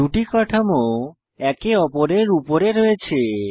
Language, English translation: Bengali, Observe that two structures overlap each other